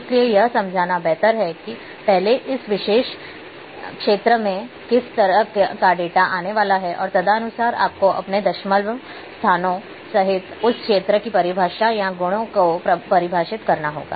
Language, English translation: Hindi, So, better to understand that first what kind of data is going to come in this particular field and accordingly you must defined, and define the definition or properties of that field including your decimal places